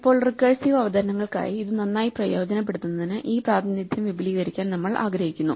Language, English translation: Malayalam, Now, it will turn out that we will want to expand this representation in order to exploit it better for recursive presentations